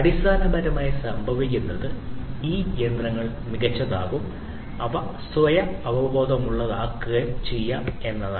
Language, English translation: Malayalam, So, basically what will happen is these machines will be made smarter, they would be made self aware